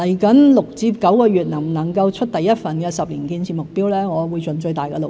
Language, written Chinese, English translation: Cantonese, 至於未來6至9個月能否推出第一份10年建設目標，我會盡最大的努力。, I will do my best to see if we can launch the first 10 - year construction target in the next six to nine months